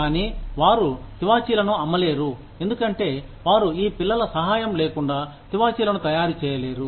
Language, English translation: Telugu, Because, they cannot make the carpets, without the help of these children